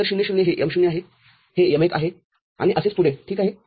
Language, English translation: Marathi, So, 0 0 this is M0, this is M1 and so on and so forth ok